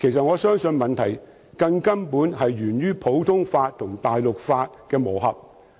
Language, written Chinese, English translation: Cantonese, 我相信問題根本是源於普通法和大陸法的磨合。, In my view the root of the problem is the convergence of the common law and the civil law